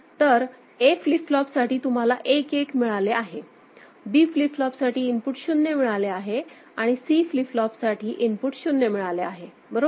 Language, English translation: Marathi, So, for A flip flop you have got 11; for B flip flop, you have got 0 1 at the input and for C flip flop, you have got 0 1 at the input, right